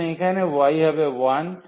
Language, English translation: Bengali, So, here y is 1